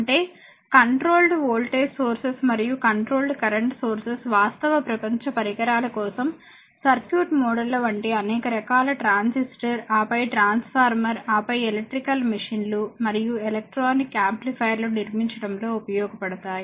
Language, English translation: Telugu, That means the controlled voltage sources and controlled current sources right are useful in constructing the circuit models for many types of real world devices such as your such as your transistor, just hold down such as your transistor, then your transformer, then electrical machines and electronic amplifiers right